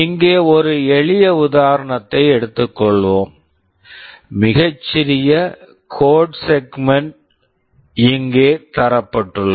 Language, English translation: Tamil, Let us take a simple example here; a very small code segment is shown